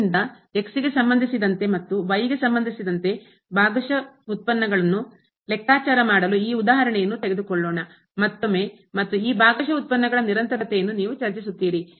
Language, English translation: Kannada, So, this example again to compute the partial derivatives with respect to and with respect to and also you will discuss the continuity of these partial derivatives